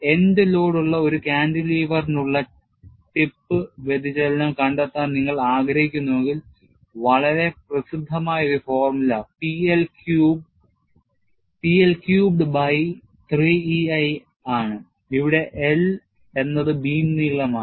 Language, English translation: Malayalam, If you want to find out the tip deflection, for a cantilever with the end load, a very famous formula is P L Q by 3 E a, where L is the length of the beam